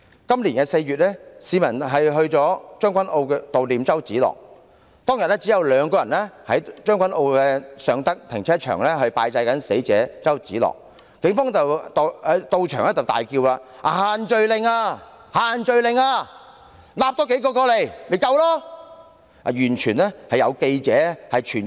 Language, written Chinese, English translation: Cantonese, 今年4月，市民在將軍澳悼念周梓樂，當時只有2人在將軍澳尚德停車場拜祭死者周梓樂，警方到場大叫違反限聚令，並稱"多抓數人過來不就夠了嗎？, In April this year people gathered in Tseung Kwan O to mourn the death of CHOW Tsz - lok and at Sheung Tak Parking Garage only two people paid tribute to the late Mr CHOW then . The Police arrived at the scene later said loudly that they had violated the social gathering restrictions and suggested fabricating a case by bringing a few more people to the scene